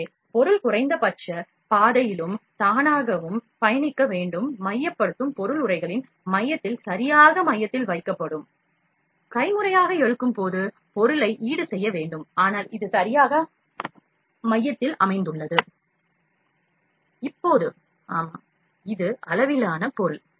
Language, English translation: Tamil, So, as the material has to travel the minimum path and in auto centering object would be placed at the center of the envelop exactly at the center like, we were dragging like migh,t we have might, offset the object while dragging manually, but this located at exactly at the center Now, yeah this is scale object